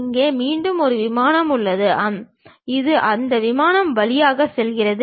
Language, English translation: Tamil, There again we have a plane which is passing through that